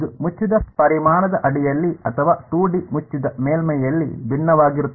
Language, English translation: Kannada, It is a divergence under a closed volume or in 2D closed surface